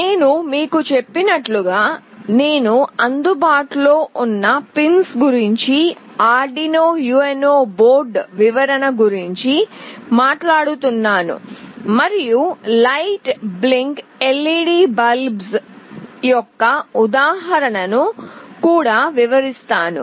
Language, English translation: Telugu, As I told you, I will be talking about Arduino UNO board description about the pins that are available and also work out an example for blinking LED